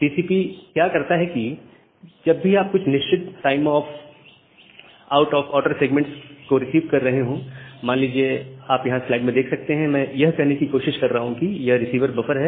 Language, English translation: Hindi, So, what TCP does that whenever you are receiving certain out of order segment say for example, I am just trying to draw a yeah, so, I am trying to say this is the receiver buffer